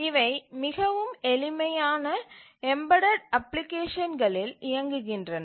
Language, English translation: Tamil, These are used extensively in embedded applications